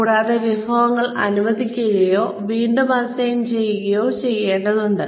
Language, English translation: Malayalam, And, the resources may need to be allocated or reassigned